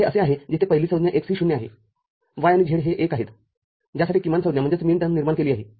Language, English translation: Marathi, So, this is the one where the first term x is 0, y and z are 1 for which the minterm is generated